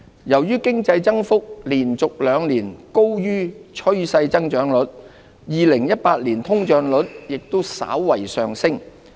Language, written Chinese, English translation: Cantonese, 由於經濟增幅連續兩年高於趨勢增長率 ，2018 年通脹率也稍為上升。, As the economic growth had been above the trend growth for two consecutive years the inflation rate rose slightly in 2018